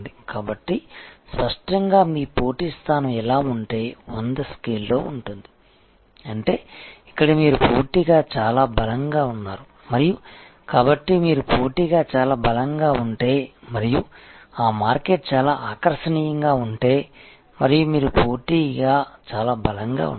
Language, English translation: Telugu, So; obviously, if you are competitive position is like this is on a scale of 100, so which means here you are very strong competitively and, so if you are competitively very strong and that market is very attractive and your competitively very strong